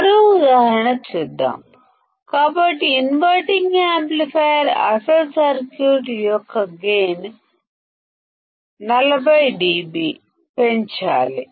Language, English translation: Telugu, Let us see one more example; so in the inverting amplifier, the gain of the original circuit is to be increased by 40 dB